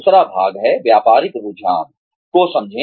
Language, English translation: Hindi, The second part is, understand the business trends